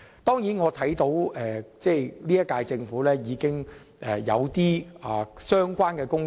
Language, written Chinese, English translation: Cantonese, 當然，我看到現屆政府正在處理相關工作。, Of course I notice the incumbent Government is now working on the related work